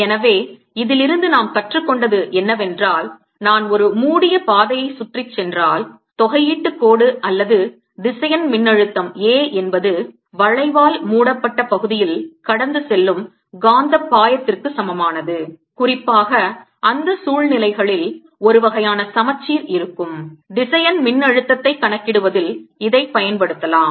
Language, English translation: Tamil, therefore, what we learn from this is that if i take around a close path, the line integral or vector potential a, it is equal to the magnetic flux passing through the area enclosed by the curve, and this we can make use of in calculating the vector potential, particularly in those situations where the there's some sort of a symmetry